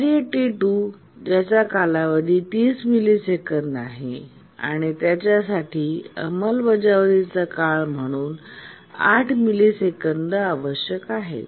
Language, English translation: Marathi, The task T2 requires 8 millisecond execution time but has a period 30 millisecond